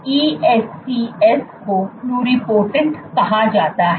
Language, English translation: Hindi, ES cells ESCs are called pluripotent